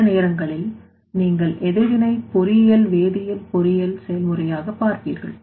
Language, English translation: Tamil, So, in this case sometimes you will see for the chemical engineering process like reaction engineering